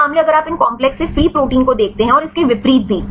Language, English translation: Hindi, Some case if you see the free protein higher than these complex and also vice versa